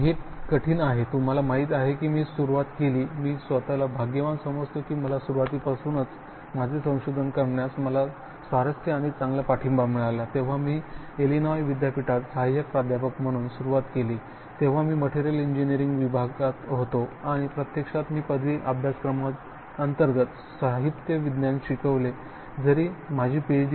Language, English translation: Marathi, It is hard, you know I started; I have been very fortunate right from the beginning that I got interested and got good support and doing my research, when I started as an assistant Professor at University of Illinois, I was in the Department of Materials engineering and actually I taught under graduate courses in materials science, so I got, although my Ph